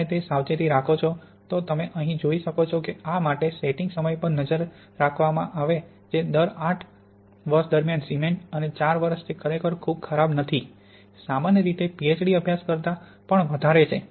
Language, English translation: Gujarati, If you take those precautions you can see here that the setting time was monitored for this cement during eight years and for four years it is not really too bad, not typically the length of a PhD study